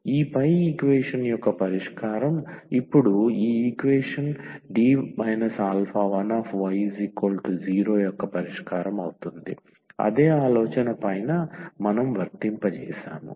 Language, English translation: Telugu, That a solution now of this above equation will be also the solution of this equation D minus alpha 1 y is equal to 0, the same idea what we have applied above